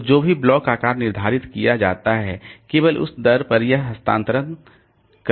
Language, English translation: Hindi, So, whatever be the block size determined, so at that rate only it can do the transfer